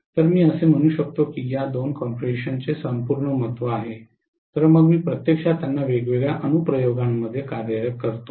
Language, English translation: Marathi, So I can say that these two configurations have a whole lot of significance then I am actually employing them in different applications